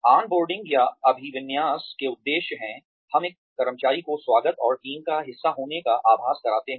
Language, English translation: Hindi, Purposes of on boarding or orientation are, we make the new employee feel welcome, and part of the team